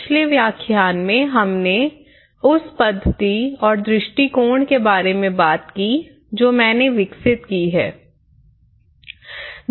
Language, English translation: Hindi, In the previous lecture, we talked about the method and approach which I have developed